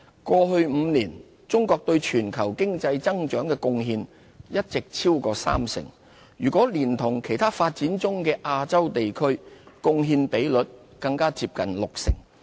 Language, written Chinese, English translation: Cantonese, 過去5年，中國對全球經濟增長的貢獻一直超過三成，若連同其他發展中的亞洲地區，貢獻比率更加接近六成。, Over the past five years China has contributed over 30 % to the global economic growth and together with other developing regions in Asia has made up a share of almost 60 %